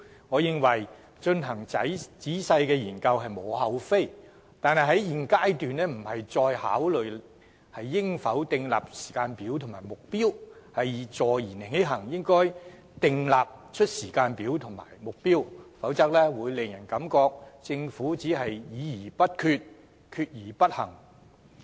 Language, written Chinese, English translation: Cantonese, 我認為進行仔細的研究實屬無可厚非，但在現階段不應再考慮應否訂立時間表和目標，而應坐言起行，就此訂立時間表和目標，否則只會讓人感到政府議而不決，決而不行。, I agree that there is in fact no ground for blame if the Government really wishes to conduct a thorough study but at the present stage it should not give further consideration to the desirability of setting timetables or targets in this respect and should put its words into actions to draw up the same otherwise people will only have the impression that the Government makes no decision after discussion and takes no action after a decision is made